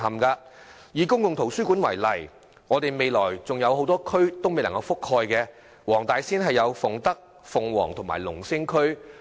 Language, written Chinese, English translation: Cantonese, 區內多個公共圖書館服務未能覆蓋的地區，包括黃大仙的鳳德、鳳凰及龍星區。, The areas in the district that are not served by public libraries include Fung Tak Fung Wong and Lung Sing districts in Wong Tai Sin